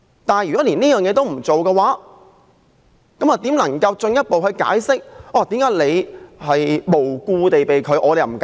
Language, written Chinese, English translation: Cantonese, 如果政府連這也不做，怎能進一步解釋為何馬凱無故被拒入境？, If the Government does not even take such actions how can it explain why Victor MALLET was refused entry for no reason?